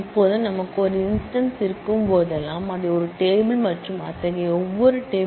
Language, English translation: Tamil, Now, whenever we have an instance, we mark that as a table and every such table